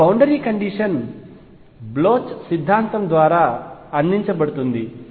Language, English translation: Telugu, Our boundary condition is going to be provided by the Bloch’s theorem